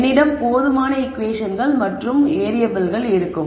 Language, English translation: Tamil, So, you will have enough equations and variables